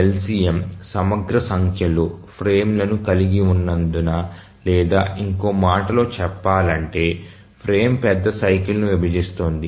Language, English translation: Telugu, We said that the LCM contains an integral number of frames or in other words the frame divides the major cycle